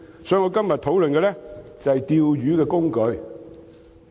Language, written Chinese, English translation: Cantonese, 所以，我今天討論的就是"釣魚"的工具。, Hence today I am going to discuss the fishing tools